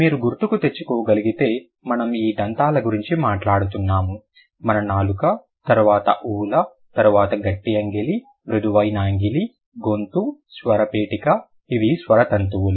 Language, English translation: Telugu, If you remember we were talking about this teeth, our tongue, then uvula, then heart palate, soft palate, farings, larynx, these are the vocal cords, yes